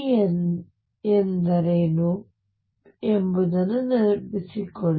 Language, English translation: Kannada, Remember what is p